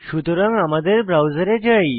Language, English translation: Bengali, Let us come back to the browser